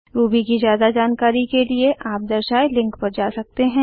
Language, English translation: Hindi, To get more help on Ruby you can visit the links shown